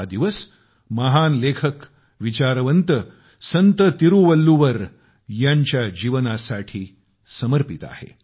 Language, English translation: Marathi, This day is dedicated to the great writerphilosophersaint Tiruvalluvar and his life